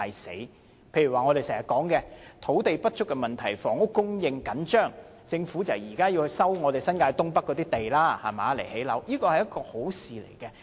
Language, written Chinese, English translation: Cantonese, 舉例說，我們經常提到土地不足、房屋供應緊張，政府現在要收回新界東北的土地來建屋，這是好事。, For example we often mention land shortage and the tight supply of housing . It is good that now the Government is to resume the land in the North East New Territories NENT for housing construction